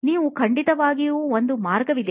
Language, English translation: Kannada, That is of course there, that is one way